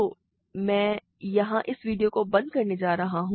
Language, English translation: Hindi, So, I am going to stop this video here